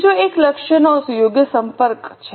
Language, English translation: Gujarati, The third one is proper communication of goals